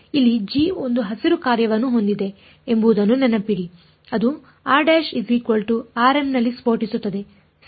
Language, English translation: Kannada, Remember that g over here has a its a Green's function, it blows up at r prime equal to r m right